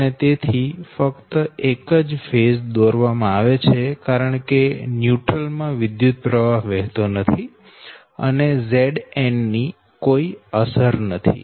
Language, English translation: Gujarati, so thats why only phase is drawn, because neutral is not carrying any current zero, so z